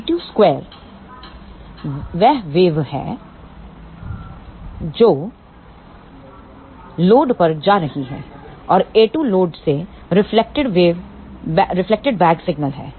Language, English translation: Hindi, b 2 square is the wave which is going to the load and a 2 is the reflected back signal from the load